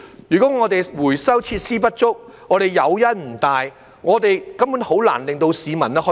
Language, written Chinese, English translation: Cantonese, 如果回收設施不足，誘因不大，根本很難令到市民實踐。, If recycling facilities are inadequate and incentives are not big it will be hard to get the public to pitch in